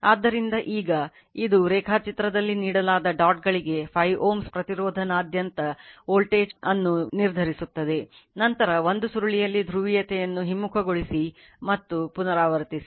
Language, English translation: Kannada, So, now this one determine the voltage across the 5 ohm resister for the dots given in the diagram, then reverse the polarity in 1 coil and repeat